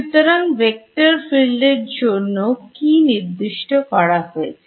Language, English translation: Bengali, So, for this vector field A what have I specified